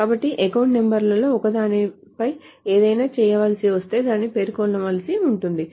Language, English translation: Telugu, So if something needs to be done on one of the account numbers that needs to be specified